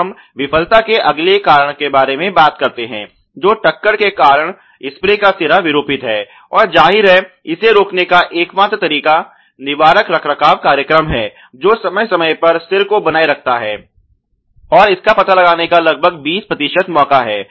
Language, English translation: Hindi, Now you talk about the next cause of failure which is spray head reformed due to impact and obviously, the only way to do it is preventive maintenance program maintain the head from time to time and there is almost a twenty percent chance of detection of this kind of A